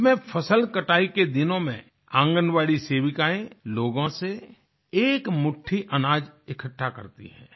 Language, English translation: Hindi, In this novel scheme, during the harvest period, Anganwadi workers collect a handful of rice grain from the people